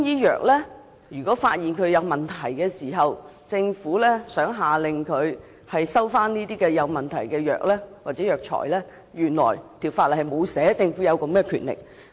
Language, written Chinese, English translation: Cantonese, 可是，如果發現中藥有問題而政府想下令回收問題藥物或藥材時，原來法例並無訂明政府有此權力。, However if Chinese medicine is found to be problematic and if the Government wants to order the recall of the medicine or herbal medicine in question the law does not provide for such power of the Government